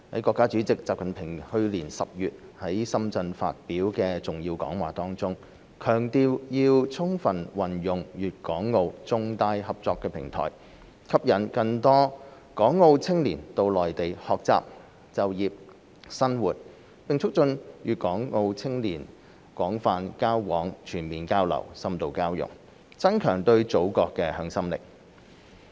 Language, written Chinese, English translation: Cantonese, 國家主席習近平去年10月在深圳發表的重要講話中，強調要充分運用粵港澳重大合作平台，吸引更多港澳青年到內地學習、就業、生活，並促進粵港澳青少年廣泛交往、全面交流、深度交融，增強對祖國的向心力。, In his keynote speech delivered in last October in Shenzhen President XI Jinping stressed the importance of making full use of the major cooperation platforms among Guangdong Hong Kong and Macao to attract more young people from Hong Kong and Macao to study work and live on the Mainland so as to facilitate wider exchanges and deeper integration among the youths in these regions thereby strengthening their sense of belonging to the Motherland